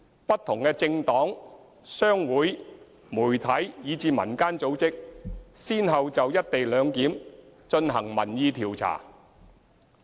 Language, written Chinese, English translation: Cantonese, 不同的政黨、商會、媒體，以至民間組織先後就"一地兩檢"進行民意調查。, Different political parties business associations media and community organizations have one after another conducted public opinion surveys on the co - location arrangement